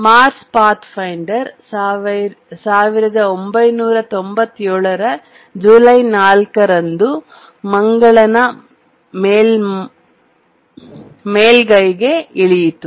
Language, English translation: Kannada, Mars Pathfinder landed on the Mars surface on 4th July 1997